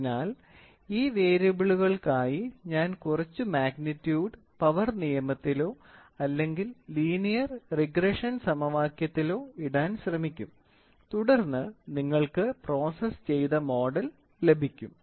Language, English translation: Malayalam, So, for these variables I would try to put either in the power law or in the linear regression equation of some magnitude and then you get of the get out with the processed model, ok